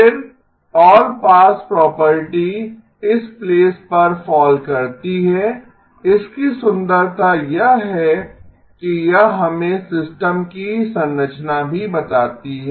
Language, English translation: Hindi, Then, the all pass property falls into place, the beauty of it is it also tells us the structure of the of the system